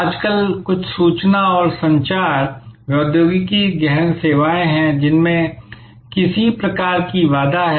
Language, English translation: Hindi, There are nowadays some information and communication technology intensive services which have some kind of barrier